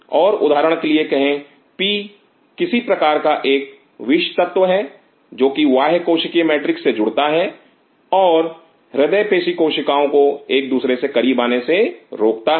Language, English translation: Hindi, And say for example; P is some form of a Toxin which binds to extra cellular matrix and prevent the cardiac myocyte to come close to each other